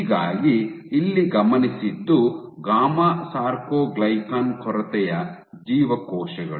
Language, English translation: Kannada, So, what has been observed is in gamma soarcoglycan deficient cells